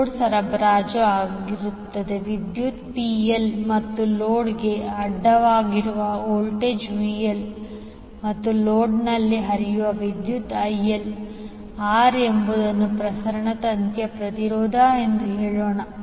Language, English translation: Kannada, Let us say that the power being supplied to the load is PL and the voltage across the load is VL and the current which is flowing in the load is IL, R is the resistance of the transmission wire